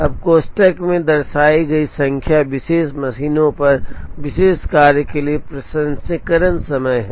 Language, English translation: Hindi, Now, the number shown in the brackets are the processing times for the particular job on the particular machine